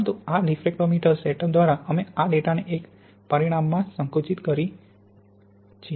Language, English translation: Gujarati, But by this diffractometer setup we compress this data into one dimension